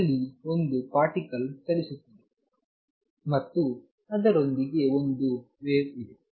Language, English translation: Kannada, There is a particle moving and there is a wave associated with it